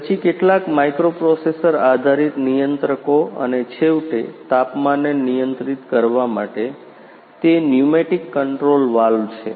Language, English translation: Gujarati, Then some microprocessors based controllers and finally, for controlling the temperatures, it is pneumatic controls valves ah